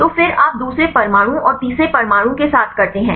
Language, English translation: Hindi, So, then you do with the second atom and the third atom